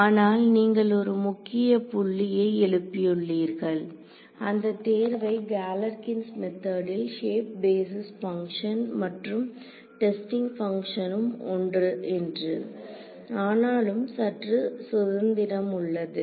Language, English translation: Tamil, So, but you have raised an important point this choice of we said that in Galerkin’s method the shape basis functions and the testing functions are the same, but we still have a little bit of freedom